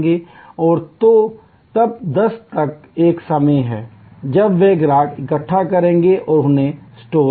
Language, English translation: Hindi, So, up to 10'o clock is a time when they will gather customer's and store them